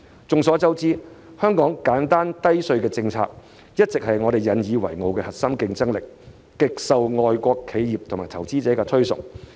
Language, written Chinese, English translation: Cantonese, 眾所周知，香港奉行簡單低稅政策，這一直是我們引以為傲的核心競爭力，極受外國企業及投資者的推崇。, As we all know Hong Kong has been pursuing a simple and low tax policy . Our tax regime has always been the core competitiveness which we take pride in and has been highly praised by foreign enterprises and investors